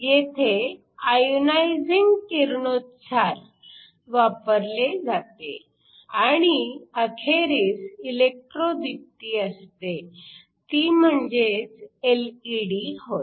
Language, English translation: Marathi, Here you use ionizing radiation and finally, we have electro luminescence, which is what an LED is